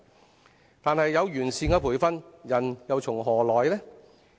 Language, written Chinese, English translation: Cantonese, 可是，即使有完善的培訓，人又從何來？, Even if there were perfect training however where do people come from?